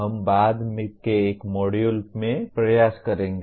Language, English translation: Hindi, That we will attempt at a/in a later module